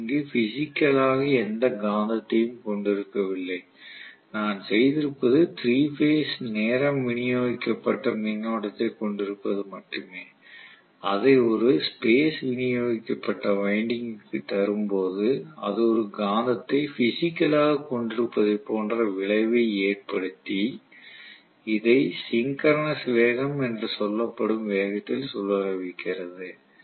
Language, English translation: Tamil, I am not having really physically any magnet here what I have done is only to have a 3 phase time distributed current I have given that is a space distributed winding that has created the effect of actually having a magnet physically and rotating it at a speed which is known as synchronous speed